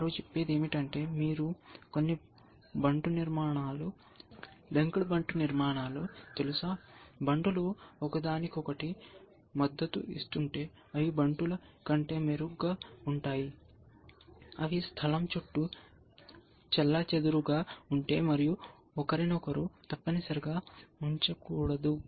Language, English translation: Telugu, All they might say, that you know some pawn structures, linked pawn structures, if pawns are supporting each other, it is better than pawns, if their scattered around the place, and not putting each other essentially